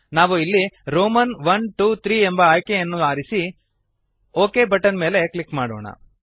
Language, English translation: Kannada, We will choose Roman i,ii,iii option and then click on the OK button